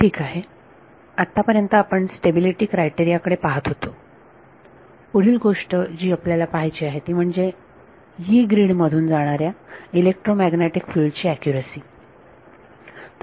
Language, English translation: Marathi, Alright so having looked at having looked at stability as a criterion ability the next thing that we want to look at this accuracy of electromagnetic field propagating in the Yee grid; y double e grid ok